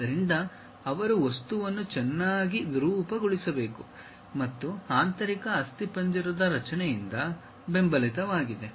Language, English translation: Kannada, So, they have to deform the object in a nice way and that supposed to be supported by the internal skeleton structure